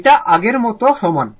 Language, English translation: Bengali, This is same as before